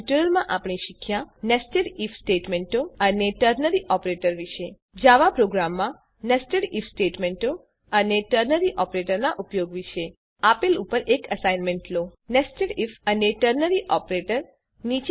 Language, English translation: Gujarati, In this tutorial we have learnt: * About Nested If Statements and Ternary Operator * Usage of Nested If Statements and Ternary Operator in a Java program Now take an assignment on Nested If and Ternary operator